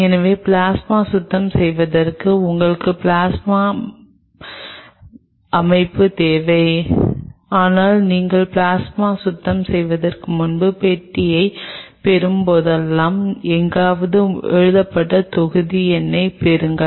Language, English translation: Tamil, So, plasma cleaning you needed a plasma setup, but even before you do plasma cleaning it is always a good idea whenever you receive the box get the batch number written somewhere